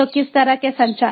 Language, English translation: Hindi, so what kind of communications